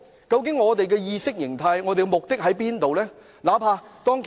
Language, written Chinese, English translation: Cantonese, 究竟他有何意識形態或目的何在呢？, What exactly was his mindset or purpose?